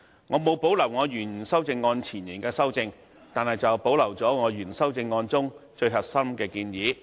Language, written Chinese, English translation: Cantonese, 我沒有保留我原修正案中對原議案的導言所作的修正，但保留了我原修正案中最核心的建議。, I have not retained my amendment to the preamble of the original motion as set out in my original amendment . But I have retained the core proposals in my original amendment